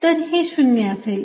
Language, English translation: Marathi, so this is going to be zero